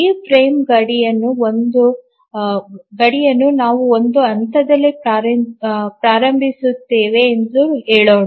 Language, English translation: Kannada, Let's say we have this frame boundary starting at this point